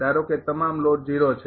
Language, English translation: Gujarati, Suppose all load load is 0